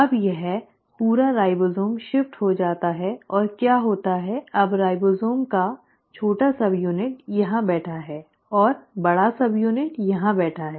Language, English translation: Hindi, Now this entire ribosome shifts and what happens is now the ribosome small subunit is sitting here, and the large subunit is sitting here